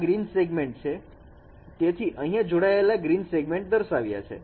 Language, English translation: Gujarati, This is a green segment, so connected green segments are shown here